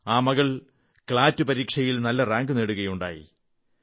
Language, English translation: Malayalam, She has also secured a good rank in the CLAT exam